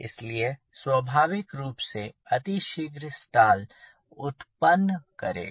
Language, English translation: Hindi, so naturally it will stall also very fast